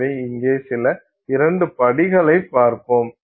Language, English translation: Tamil, So, let's look at some two steps ahead here